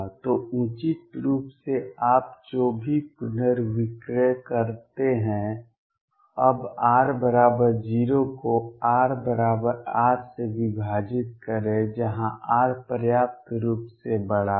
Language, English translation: Hindi, So, appropriately whatever rescale you do, now divide r equal to 0 to some r equals R, where R is sufficiently large